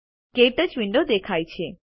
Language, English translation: Gujarati, The KTouch window appears